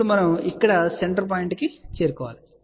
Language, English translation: Telugu, Now, we have to reach to the central point here